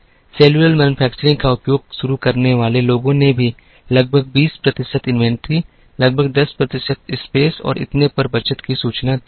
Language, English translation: Hindi, People who started using cellular manufacturing, also have reported a saving of about 20 percent inventory, about 10 percent space and so on